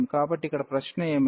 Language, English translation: Telugu, So, what is the question here